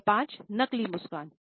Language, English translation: Hindi, Number 5, fake smile, grin